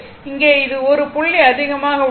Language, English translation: Tamil, So, here also it is 1 point actually it is 1